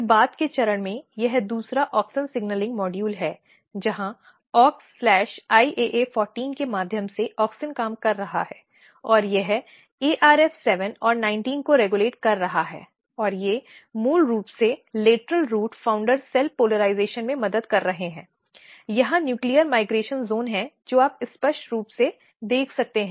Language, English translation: Hindi, Then in the later stage this is second auxin signalling module where auxin is working through Aux/IAA 14 and it is regulating ARF 7 and 19 and they are basically helping in the lateral root founder cell polarization, here is the nuclear migration zone you can clearly see